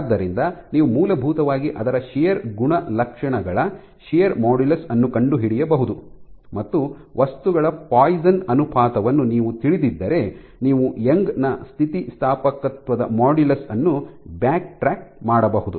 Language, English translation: Kannada, So, you can essentially probe its shear properties shear modulus and if you knew the poisons ratio of the material you can backtrack what is the Young’s modulus of elasticity